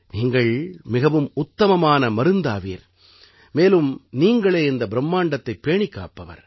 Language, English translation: Tamil, You are the best medicine, and you are the sustainer of this universe